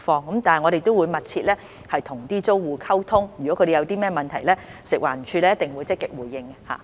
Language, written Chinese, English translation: Cantonese, 不過，我們會與租戶密切溝通，如他們有何問題，食環署一定會積極回應。, Nevertheless we will communicate closely with the tenants and if they have any problems FEHD will certainly respond in a proactive manner